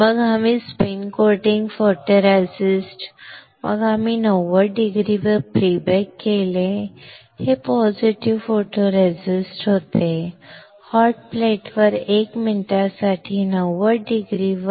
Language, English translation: Marathi, Then, we spin coated photoresist, then we did pre bake at 90 degree this was positive photoresist; 90 degree for 1 minute on hot plate